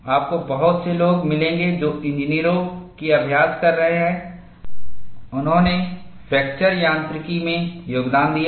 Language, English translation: Hindi, Now, you will find many people, who are practicing engineers, they have contributed to fracture mechanics